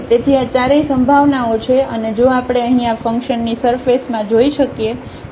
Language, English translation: Gujarati, So, all these four possibilities are there and if we can see here in the surface of this function